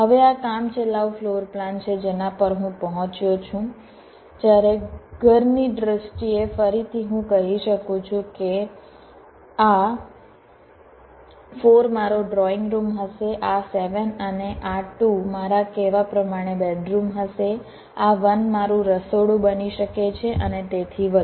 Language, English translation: Gujarati, right now, this is the rough floorplan that i have arrived, that while in terms of the house, again, i can say this four will be my drawing room, this seven and this two will be my, ah say, bedrooms like that, this one can be my kitchen, and so on